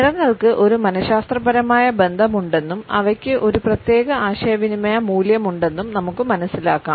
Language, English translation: Malayalam, We understand that colors have a psychological association and they have thus a certain communicative value